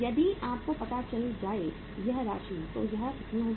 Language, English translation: Hindi, So if you find out this amount, so this will be how much